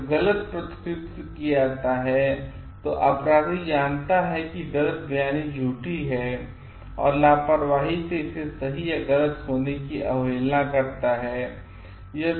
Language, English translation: Hindi, When false representation is made, the perpetrator knows that misrepresentation is false and recklessly disregards it to be true or false